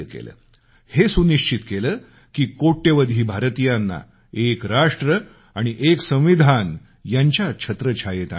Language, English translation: Marathi, He ensured that millions of Indians were brought under the ambit of one nation & one constitution